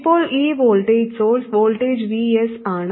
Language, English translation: Malayalam, And let me call this voltage as the source voltage VS